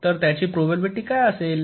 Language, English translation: Marathi, so what will be the probability